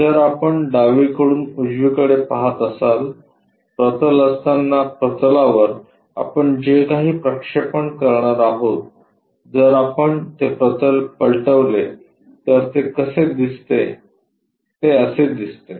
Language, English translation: Marathi, If we are looking from left direction towards right direction, having a plane whatever the projections we are going to get onto that plane, if I flip that plane the way how it looks like is this